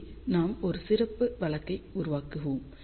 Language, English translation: Tamil, So, here we will just make a special case